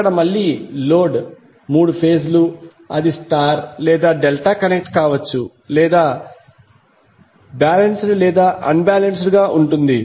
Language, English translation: Telugu, Here again, the load is three phase it can be star or Delta connected or it can be balanced or unbalanced